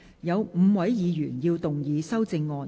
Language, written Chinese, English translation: Cantonese, 有5位議員要動議修正案。, Five Members will move amendments to this motion